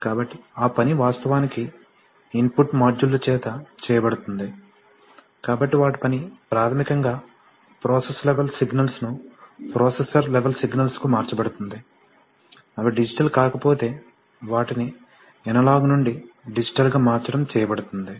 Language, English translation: Telugu, So that job is actually done by the input modules, so their job is to basically translate process level signals to processor level signals, also convert them from analog to digital sometimes, if they are not always digital